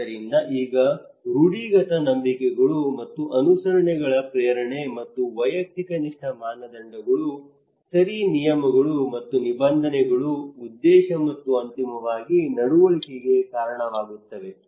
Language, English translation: Kannada, So now normative beliefs and motivation to comply and the subjective norms okay rules and regulations that leads to intention and eventually the behaviour